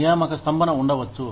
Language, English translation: Telugu, There could be a hiring freeze